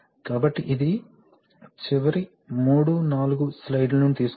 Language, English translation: Telugu, So, this is, this, from the last three four slides